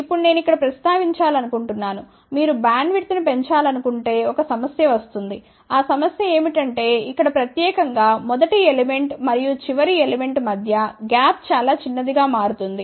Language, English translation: Telugu, Now, just I want to mention here that if you want to increase the bandwidth, while there is a problem the problem is that this gap here specially the gap between the first element and the last element becomes extremely small